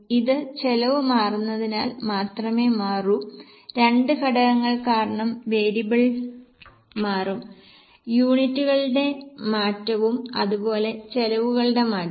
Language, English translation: Malayalam, Fixed will only change because of change of cost, variable will change because of two factors, change of units as well as change of costs